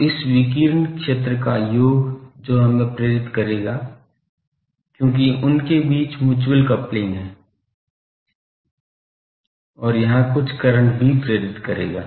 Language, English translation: Hindi, So, sum of this radiated field that will induce here, because the mutual coupling between them and that will also induce some current here